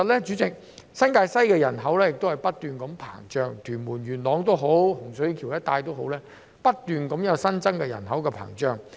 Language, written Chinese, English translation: Cantonese, 主席，新界西的人口不斷膨脹，無論屯門、元朗或洪水橋一帶都持續有新增人口。, President the population of New Territories West is ever expanding with new population being continuously brought into the areas around Tuen Mun Yuen Long or Hung Shui Kiu